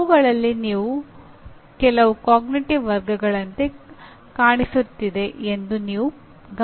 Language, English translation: Kannada, And you may observe that some of them may fall into the, may look like cognitive categories